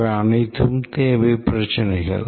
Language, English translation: Tamil, These are the requirements problems